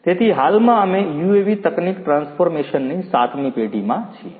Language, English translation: Gujarati, So, currently we are in the seventh generation of UAV technology transformation